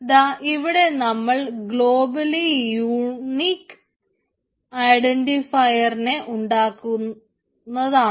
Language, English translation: Malayalam, so here we can see the one globally unique identifier will be created